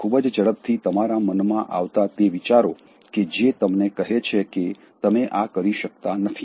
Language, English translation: Gujarati, Quickly thoughts that come to your mind and tell you that, you can’t do this